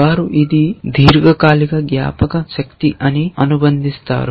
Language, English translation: Telugu, They would associates it is a long term memory